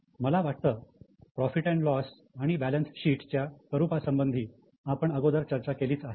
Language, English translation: Marathi, I think we have discussed the formats of P&L and balance sheet